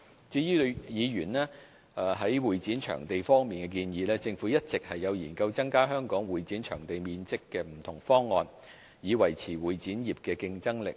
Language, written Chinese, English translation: Cantonese, 至於議員在會展場地方面的建議，政府一直有研究增加香港會展場地面積的不同方案，以維持會展業的競爭力。, In relation to Members proposals on convention and exhibition venues the Government has been exploring different options to increase the floor area of convention and exhibition venues to maintain the competitiveness of the convention and exhibition industry